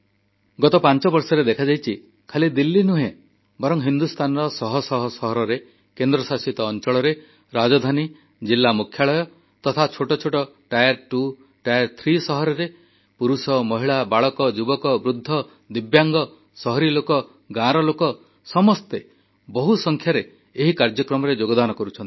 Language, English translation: Odia, The last five years have witnessed not only in Delhi but in hundreds of cities of India, union territories, state capitals, district centres, even in small cities belonging to tier two or tier three categories, innumerable men, women, be they the city folk, village folk, children, the youth, the elderly, divyang, all are participating in'Run for Unity'in large numbers